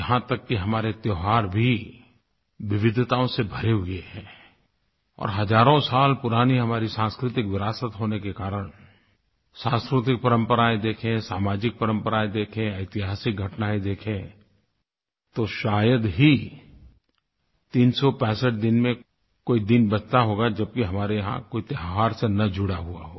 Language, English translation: Hindi, Ours is arich cultural heritage, spanning thousands of years when we look at our cultural traditions, social customs, historical events, there would hardly be a day left in the year which is not connected with a festival